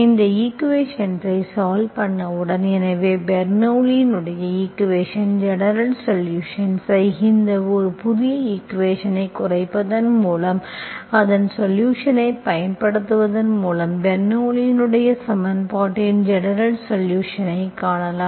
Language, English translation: Tamil, So that is how you find the general solution of a Bernoulli equation, this with, by reducing it into a new equation, by exploiting its solution we can find the general solution of the Bernoulli s equation, okay